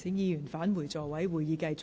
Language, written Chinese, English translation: Cantonese, 請議員返回座位，現在會議繼續。, Will Members please return to their seats . The meeting will now continue